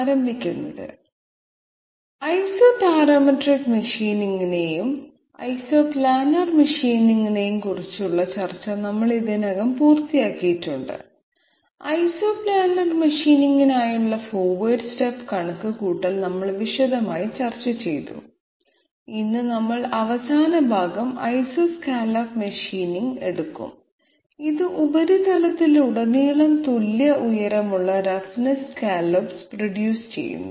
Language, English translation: Malayalam, To start with, we have already finished the discussion on Isoparametric machining and isoplanar machining, we have discussed in details um, forward step calculation for Isoplanar machining and today we will be taking up the last part Isoscallop machining, which produces equal height of roughness scallop all through the surface